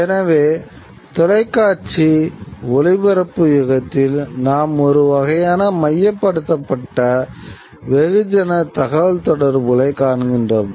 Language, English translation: Tamil, So, this is in the age of television, in the age of broadcasting, we see a kind of a centralized mass communication